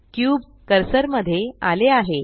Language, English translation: Marathi, The cube snaps to the 3D cursor